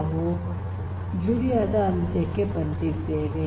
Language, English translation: Kannada, So, with this we come to an end of Julia